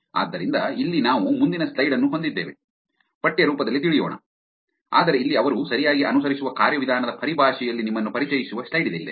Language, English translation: Kannada, So, here is the slide which actually I think the next slide we have also, go through this in a text form, but here is the slide that actually walks you through in terms of what the procedure that they follow right